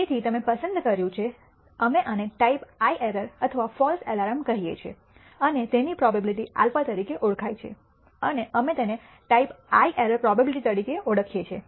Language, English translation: Gujarati, So, you have selected, we call this a type I error or false alarm and the probability of that is known as alpha and we call it a type I error probability